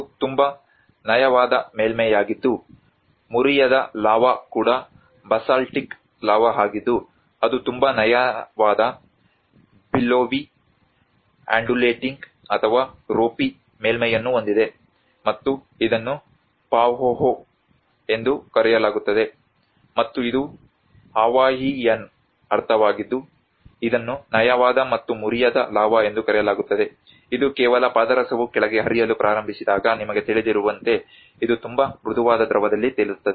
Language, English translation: Kannada, \ \ \ This is a very smooth surface which is unbroken lava is also a basaltic lava that has a very smooth, billowy, undulating or a ropy surface and this is called a Pahoehoe and this is a Hawaiian meaning which is called smooth and unbroken lava, it just floats in a very smooth liquid like you know when the mercury starts flowing down